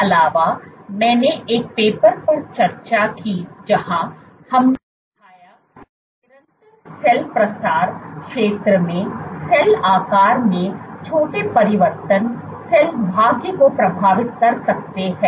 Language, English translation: Hindi, Also, I discussed a paper where we showed that small changes in cell shape at constant cell spread area can influence cell fate